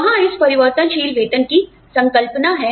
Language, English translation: Hindi, There is, this concept of variable pay